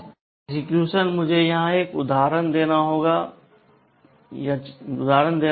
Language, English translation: Hindi, Conditional execution, let me take an example here